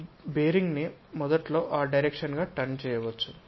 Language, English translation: Telugu, This bearing might be initially turned in that direction